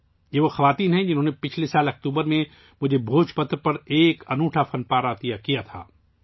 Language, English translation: Urdu, These are the women who had presented me a unique artwork on Bhojpatra in October last year